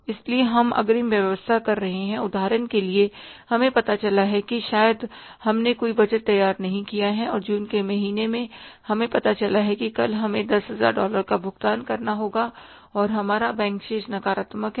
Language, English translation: Hindi, For example, we come to know maybe we have not prepared any budget and in the month of June we come to know that say tomorrow we have made to make a payment of $10,000 and our bank balance is negative